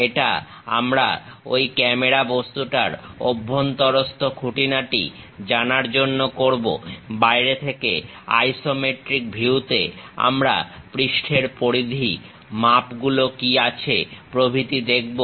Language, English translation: Bengali, This we do it to know interior details of that camera object, from outside at isometric view we will see the periphery of the surface, what are the dimensions and so on